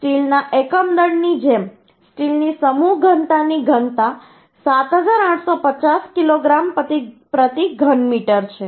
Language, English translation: Gujarati, the density of mass density of steel is 7850 kg per meter cube